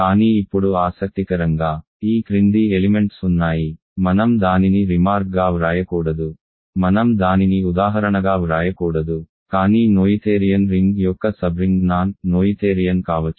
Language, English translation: Telugu, But interestingly now, there is the following maybe I should not write it as a remark, I should not write it as an example, but remark a subring of a noetherian ring can be non noetherian